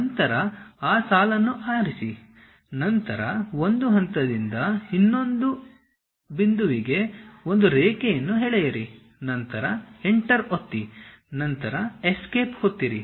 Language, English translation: Kannada, Then there is a Line, pick that Line, then from one point to other point draw a line then press Enter, then press Escape